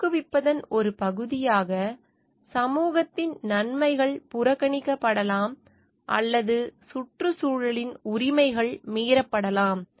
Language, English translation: Tamil, In the way part of promoting, the benefit of the society at large what gets may be neglected or the rights of the environment may get over looped